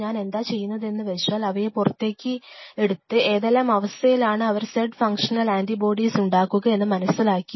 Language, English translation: Malayalam, What I do I take out these things, I understand the condition under which and I produce terms of antibodies for some z function